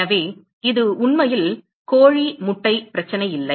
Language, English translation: Tamil, So, it is really not a chicken egg problem